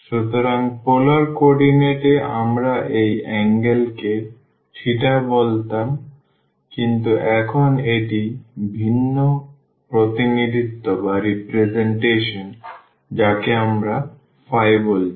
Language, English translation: Bengali, So, in polar coordinate we used to call this angle theta, but now it is different representation we are calling it phi